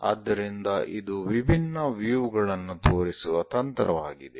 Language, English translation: Kannada, So, it is a technique of showing different views